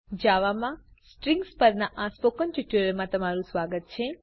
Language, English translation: Gujarati, Welcome to the spoken tutorial on Strings in Java